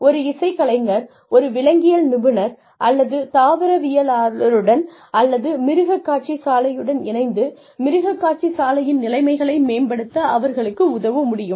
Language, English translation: Tamil, So, a musician could tie up, with a zoologist or a botanist, or with a zoo, and help them improve the zoo conditions